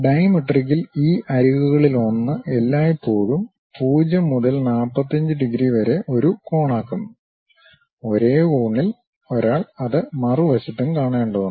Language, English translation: Malayalam, In dimetric, one of these edges always makes an angle in between 0 to 45 degrees; on the same angle, one has to see it on the other side also